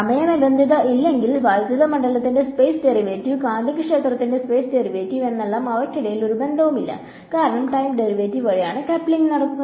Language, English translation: Malayalam, And if I do not have the time terms, then I have the space derivative of electric field, space derivative of magnetic field and there is no coupling between them; because the coupling was happening via time derivative